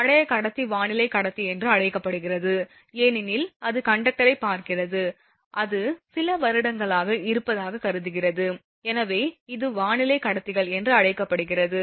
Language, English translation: Tamil, The old conductor is called weathered conductor because it is sees conductor suppose it is there for few years, so it is called weathered conductors